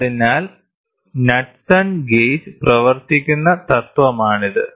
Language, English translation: Malayalam, So, this is how Knudsen gauge works